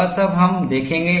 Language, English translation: Hindi, All that, we will see